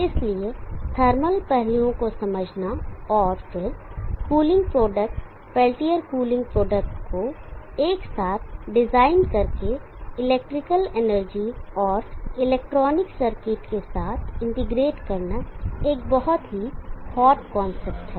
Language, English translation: Hindi, Therefore, understanding thermal aspects and then designing the cooling product, peltier cooling product together integrated with the electrical and electronic circuits is a very hard concept